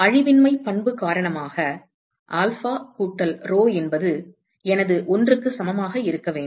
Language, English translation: Tamil, Because of the conservation property alpha plus rho should be equal to 1